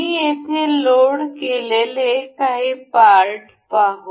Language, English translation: Marathi, Let us see some of the parts I have loaded here